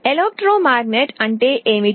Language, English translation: Telugu, What is a electromagnet